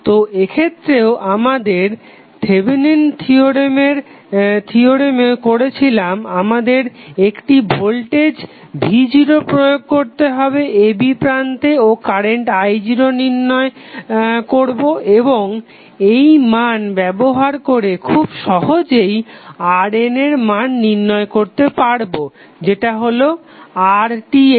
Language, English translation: Bengali, We have to again as we did in case of Thevenin's theorem here also we will apply voltage v naught at the terminals of a, b and determine the current i naught and using these value we can easily find out the value of R N which is nothing but equal to R Th